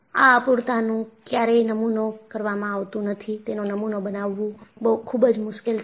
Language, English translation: Gujarati, These imperfections are never model, very difficult to model